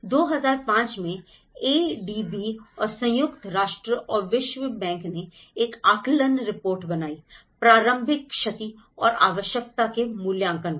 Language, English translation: Hindi, In 2005, when the ADB and United Nations and World Bank have made an assessment report, a preliminary damage and needs assessment